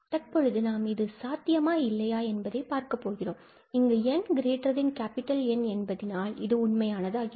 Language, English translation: Tamil, And now, we are looking for whether this is possible for some n greater than N, so that for n greater than N, this is true